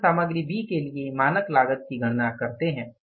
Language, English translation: Hindi, Then we calculate the standard cost for the material B